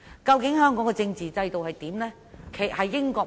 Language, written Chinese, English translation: Cantonese, 究竟香港的政治制度應如何？, What kind of constitutional system should Hong Kong develop?